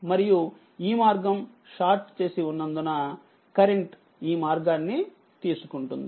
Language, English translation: Telugu, And because this path is short and as this path is short so current will take this place